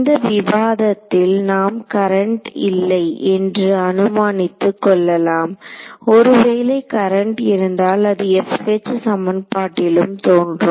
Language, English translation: Tamil, So, in this discussion we are assuming there is no current supplied if there were a current then it would also appear in this F H equation ok